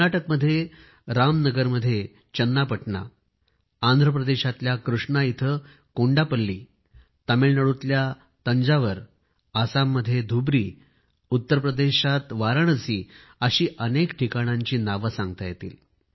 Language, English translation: Marathi, Like, Channapatna in Ramnagaram in Karnataka, Kondaplli in Krishna in Andhra Pradesh, Thanjavur in Tamilnadu, Dhubari in Assam, Varanasi in Uttar Pradesh there are many such places, we can count many names